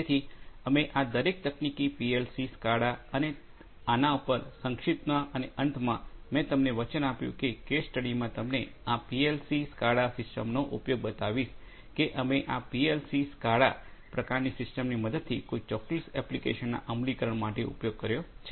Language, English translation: Gujarati, So, we are going to have a brief look at each of these technologies PLC, SCADA and so on and at the end, I promised you to show you the use of this PLC, SCADA kind of system in a case study that we have used for implementing a certain application with the help of this PLC, SCADA kind of system